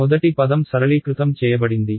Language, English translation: Telugu, The first term that simplified